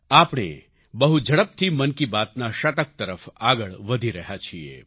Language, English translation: Gujarati, We are fast moving towards the century of 'Mann Ki Baat'